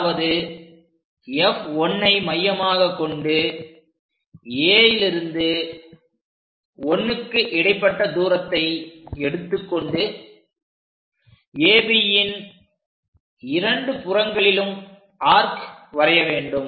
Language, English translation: Tamil, So, centre has to be F 1, but the distance is A 1 A to one whatever the distance make an arc on top and bottom on either sides of AB